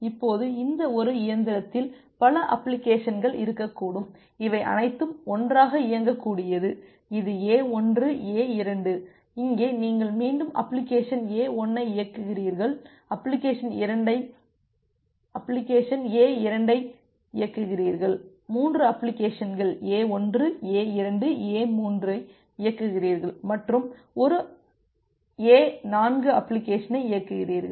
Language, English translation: Tamil, Now on this machine and a single machine there can be multiple application which can be running all together say this is A1, this is A2, here you are running again 1 application A1 other application A2 here you are running say 3 applications A1, A2, A3 here you are running 1 applications say A 4